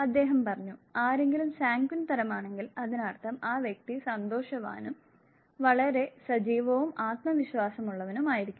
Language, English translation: Malayalam, He said that if somebody is sanguine type; that means, the individual would be cheerful, very active and confident